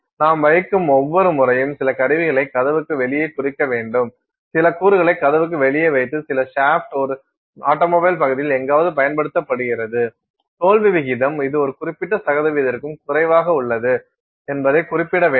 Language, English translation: Tamil, Every time you put, I mean some instrument out the door, you put some component out the door some shaft which is used somewhere in an automobile part; you have to specify that failure rate is this is below a certain percentage and so on